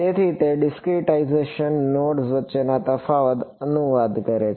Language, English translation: Gujarati, So, that discretization translates into the difference distance between nodes